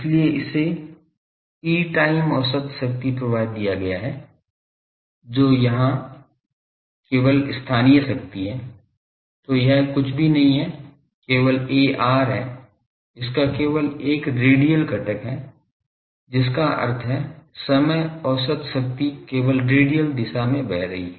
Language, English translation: Hindi, So, that only given E time average power flow that is only local power there; So, that is nothing, but only a r so, it has only a radial component that means, time average power is flowing only in the radial direction